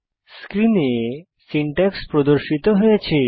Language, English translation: Bengali, The syntax is as displayed on the screen